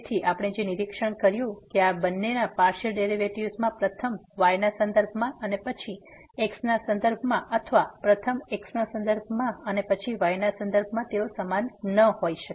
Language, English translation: Gujarati, So, what we have observed that these 2 partial derivatives first with respect to y and then with respect to or first with respect to and then with respect to they may not be equal